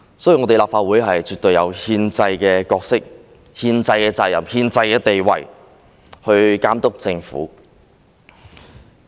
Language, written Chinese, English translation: Cantonese, 所以，立法會絕對有憲制的角色、憲制的責任和憲制的地位來監督政府。, Therefore the Legislative Council absolutely has the constitutional role constitutional responsibility and constitutional status to monitor the Government